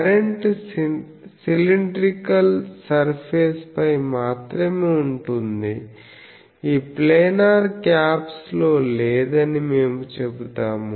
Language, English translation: Telugu, So, we will say that only the current is on the cylindrical surface not on this planar caps that is why these assumptions